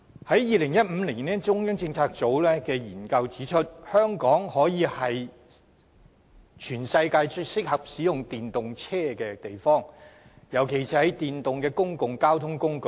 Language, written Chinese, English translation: Cantonese, 在2015年，中央政策組的研究指出，香港可說是全世界最適合使用電動車的地方，尤其是電動的公共交通工具。, In 2015 the former Central Policy Unit released a study report and pointed out that Hong Kong was the worlds most suitable place for using EVs especially in terms of electric public transport